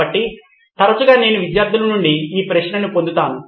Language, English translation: Telugu, So often times I get this question from students